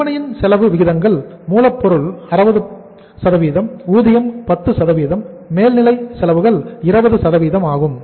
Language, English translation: Tamil, The ratios of the cost to selling prices are raw material 60%, labor is 10%, overheads are 20%